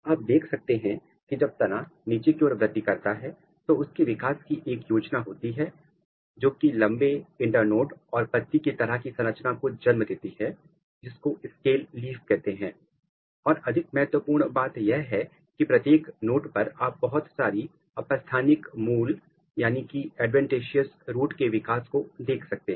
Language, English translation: Hindi, But, what you can see when this grass is growing or when the shoot is growing underground it has a developmental program which is giving rise to long internode, and leaf like a structure which is called scale leaf and more important that at every node so, here is the things at node you can see lot of adventitious root development